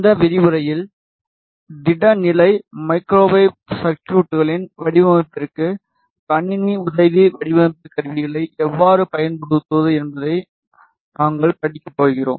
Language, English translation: Tamil, In this lecture we are going to study how to use computer aided design tools for the design of solid state microwave circuits